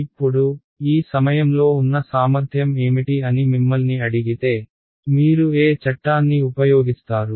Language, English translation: Telugu, Now, if I ask you what is the potential at this point over here, how what law would you use